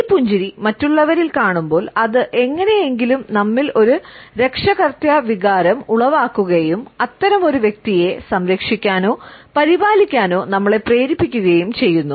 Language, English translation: Malayalam, When we look at this smile, on other people it generates somehow a parental feeling in us and making us want to protect or to care for such a person